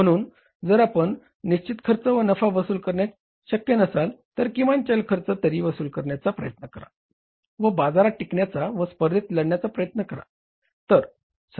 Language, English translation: Marathi, So if you are not able to recover the fixed cost and profits, at least try to recover the variable cost and stay in the market and fight the competition